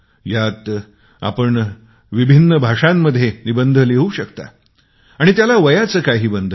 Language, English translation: Marathi, You can write essays in various languages and there is no age limit